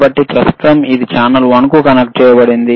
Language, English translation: Telugu, So, right now, it is connected to channel one, right